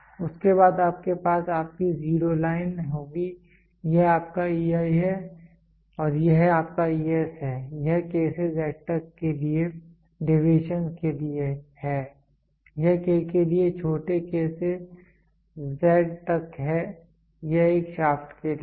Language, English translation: Hindi, Then you will have your zero line this is your EI and this is your ES this is for deviations for K to Z, this is K to the small k to z this is for a shaft